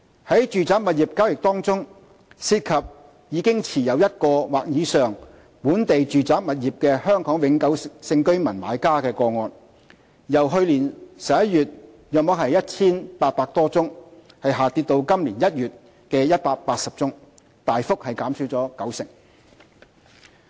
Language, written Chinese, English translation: Cantonese, 在住宅物業交易中，涉及已持有1個或以上本地住宅物業的香港永久性居民買家個案，由去年11月約 1,800 多宗下跌至今年1月的180宗，大幅減少九成。, Among the residential property transactions cases where the buyers are Hong Kong permanent residents already holding one or more local residential properties dropped sharply by 90 % from about some 1 800 in November last year to 180 in January this year